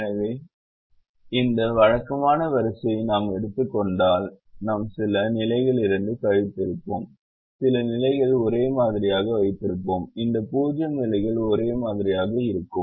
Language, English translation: Tamil, so if we take this typical row, then we would have subtracted from some positions and kept some positions the same, these zero positions the same